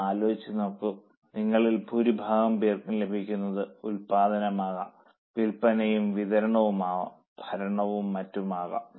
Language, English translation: Malayalam, I think most of you are getting it can be production, it can be selling and distribution, it can be administration and so on